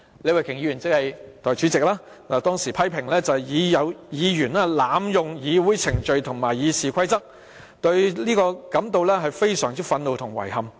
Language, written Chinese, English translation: Cantonese, 李慧琼議員當時批評有議員濫用議會程序和《議事規則》，對此感到非常憤怒和遺憾。, At that time Ms Starry LEE criticized Members for abusing Council proceedings and the Rules of Procedure RoP; she expressed anger and regret in this regard